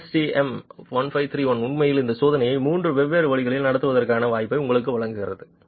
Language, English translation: Tamil, ASTM 1531 actually gives you the possibility of conducting this test in three different ways